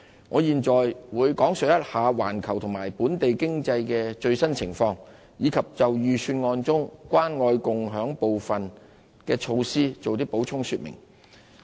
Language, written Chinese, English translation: Cantonese, 我現在會講述環球和本地經濟的最新情況，以及就預算案中"關愛共享"部分的措施作補充說明。, I will now give an account on the latest economic situations of the world and Hong Kong and elaborate further measures concerning the Caring and Sharing Scheme the Scheme in the Budget